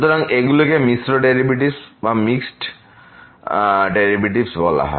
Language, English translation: Bengali, So, these are called the mixed derivatives